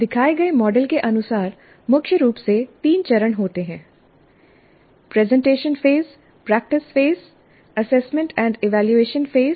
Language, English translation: Hindi, Primarily there are three phases, a presentation phase, a practice phase, assessment and evaluation phase